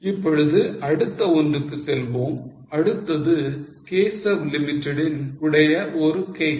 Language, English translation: Tamil, Next one is a case of Keshav Limited